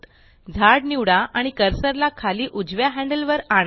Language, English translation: Marathi, Select the tree and move the cursor over the bottom right handle